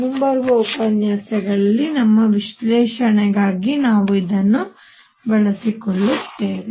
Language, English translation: Kannada, We will use these for our analysis in coming lectures